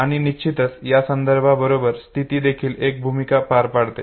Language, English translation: Marathi, And of course besides context it is also the state which plays a role okay